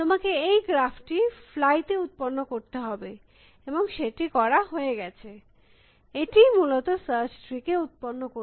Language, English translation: Bengali, You have to generate the graph on the fly and that is done, that is what generates the search tree essentially